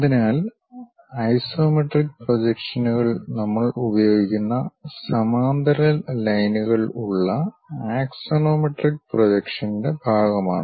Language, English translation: Malayalam, So, isometric projections come under the part of axonometric projections with parallel lines we use it